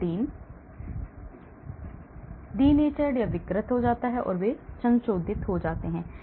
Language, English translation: Hindi, so the protein gets denatured, they get modified